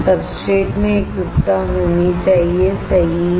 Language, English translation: Hindi, The uniformity across the substrate should be right